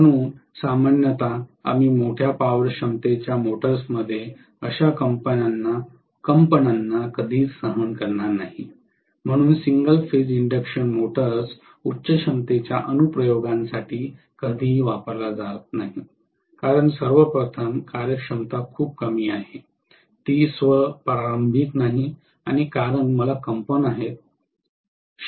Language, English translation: Marathi, So normally we will never tolerate such vibrations in bigger power capacity motors so single phase induction motors are never used for higher capacity applications because first of all the efficiency is very low, it is not self starting and also because I am going to have vibrations continuously in the shaft which is definitely not tolerated in higher capacity applications